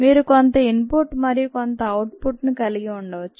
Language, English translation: Telugu, you could have some input and some output